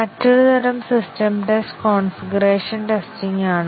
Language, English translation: Malayalam, Another type of system test is the configuration testing